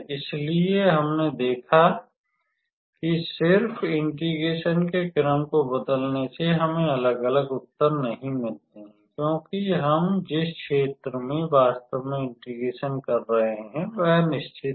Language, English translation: Hindi, So, we saw that just by changing the order of integration, we do not get different answer because the area where we are actually doing the integration is fixed